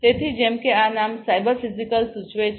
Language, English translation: Gujarati, So, as this name suggests cyber physical